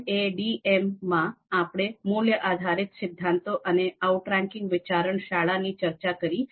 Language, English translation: Gujarati, So there we talked about in MADM we talked about value based theories and outranking school of thoughts